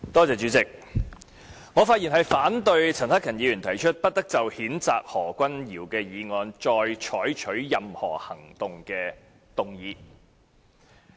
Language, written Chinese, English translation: Cantonese, 主席，我發言反對陳克勤議員提出，不得就譴責何君堯議員的議案再採取任何行動的議案。, President I speak to voice my objection to the motion moved by Mr CHAN Hak - kan that no further action should be taken on the motion moved to censure Dr Junius HO